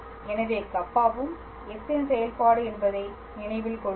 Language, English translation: Tamil, So, just remember Kappa is also a function of s